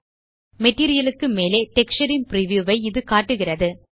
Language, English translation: Tamil, This shows the preview of the texture over the material